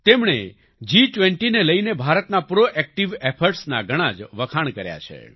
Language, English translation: Gujarati, They have highly appreciated India's proactive efforts regarding G20